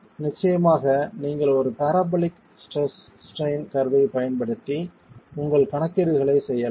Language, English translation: Tamil, Of course, you can use a parabolic strain curve and make your calculations